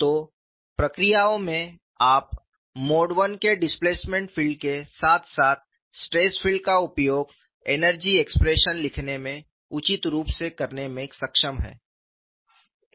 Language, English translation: Hindi, So, in the processes, you have been able to utilize the mode one displacement field as well as the stress field, appropriately used in writing the energy expression